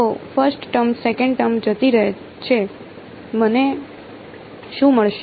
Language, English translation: Gujarati, So, the first term goes away second term what will I get